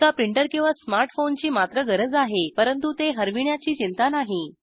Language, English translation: Marathi, One needs a printer or a smart phone however, no worry about losing it